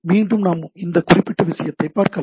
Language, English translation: Tamil, Again we can look at this particular thing